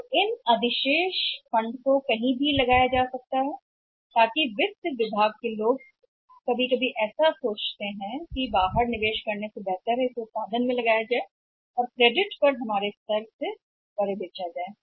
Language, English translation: Hindi, So, those surplus funds can be parked anywhere so finance people sometimes think that rather than parking it outside may be manufactured and sell beyond our level on the credit